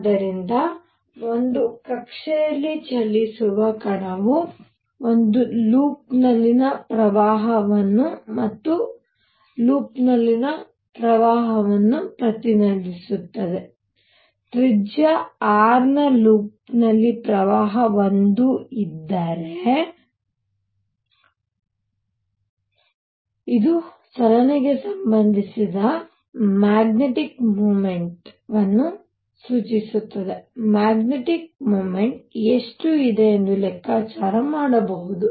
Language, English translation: Kannada, So, a particle moving in an orbit, represents a current in a loop and current in a loop, if there is a current I in a loop of radius R, this implies magnetic moment associated with the motion and just a quick calculation how much will be the magnetic moment